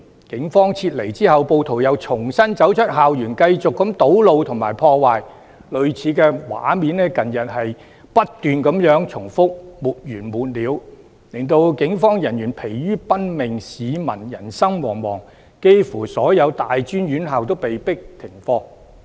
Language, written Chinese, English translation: Cantonese, 警方撤離後，暴徒又重新走出校園繼續堵路和破壞，類似的畫面在近日不斷重複，沒完沒了，令警方疲於奔命，市民人心惶惶，幾乎所有大專院校均被迫停課。, When the Police retreated rioters reappeared from the campus and continued with their road blockage and vandalism . Similar scenes were seen repeatedly in recent days . Police officers are exhausted and people become unsettled